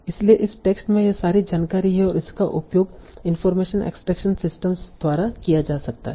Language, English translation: Hindi, So all this information is there in this text and this can be extracted by using information extraction systems